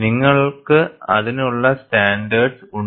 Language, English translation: Malayalam, And you have standards for that